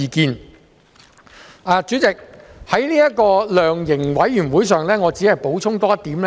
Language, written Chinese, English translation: Cantonese, 代理主席，我只想就量刑委員會補充多一點。, Deputy President I wish to add one more point about the setting up of a sentencing commission or council